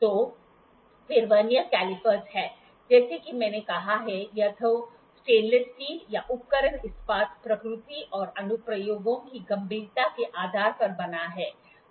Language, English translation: Hindi, Then the Vernier caliper is as I have said is made up of either stainless steel or tools steel depending up on the nature and severity of the applications